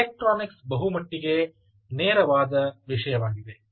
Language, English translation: Kannada, the electronics is pretty straight forward